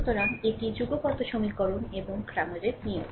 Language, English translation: Bengali, So, this is simultaneous equations and cramers rule